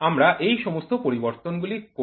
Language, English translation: Bengali, So, we do all this changes